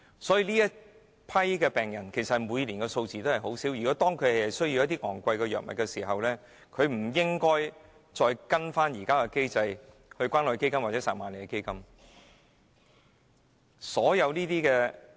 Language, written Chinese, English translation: Cantonese, 每年確診的病人人數不多。他們如需要一些昂貴藥物，我認為不應該按現行機制向關愛基金和撒瑪利亞基金申請。, There are a small number of confirmed cases each year and if they need some expensive drugs I think they should not be required to apply to the Community Care Fund and the Samaritan Fund under the current mechanism